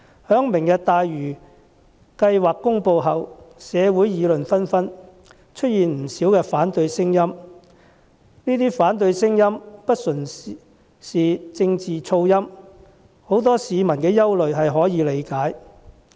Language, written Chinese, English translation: Cantonese, 在"明日大嶼"計劃公布後，社會議論紛紛，出現不少反對聲音，這些反對聲音不純是政治噪音，很多市民有可以理解的憂慮。, The announcement of the Lantau Tomorrow plan has triggered heated discussion in the community with many dissenting voices which are not pure political noise . Many people have some understandable worries